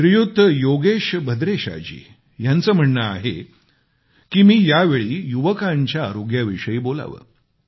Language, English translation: Marathi, Shriman Yogesh Bhadresha Ji has asked me to speak to the youth concerning their health